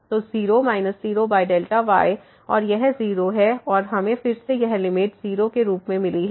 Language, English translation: Hindi, So, 0 minus 0 over delta and this is 0 and we got again this limit as 0